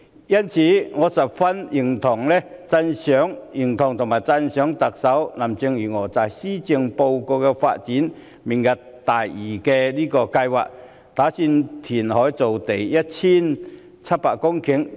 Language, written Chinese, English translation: Cantonese, 因此，我十分認同和讚賞特首林鄭月娥在施政報告提出明日大嶼計劃，打算填海造地 1,700 公頃。, Therefore I fully agree to and appreciate the Lantau Tomorrow programme put forward by Carrie LAM the Chief Executive in the Policy Address which proposes to create 1 700 hectares of land through reclamation